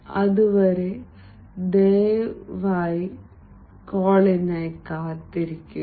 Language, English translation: Malayalam, till then, please wait for the call